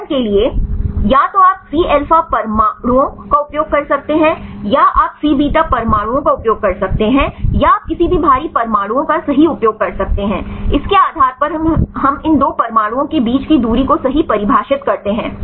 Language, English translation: Hindi, For example either you can use the C alpha atoms or you can use C beta atoms or you can use any heavy atoms right, based on that we define the distance right between these 2 atoms